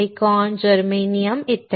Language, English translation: Marathi, Silicon, Germanium etc